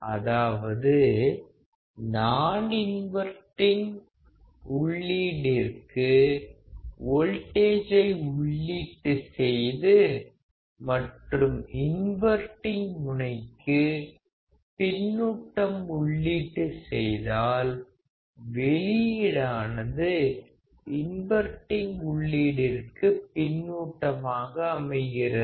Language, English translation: Tamil, It means if we apply a voltage at the non inverting input and if we apply a feedback to the inverting; the output is feedback to inverting here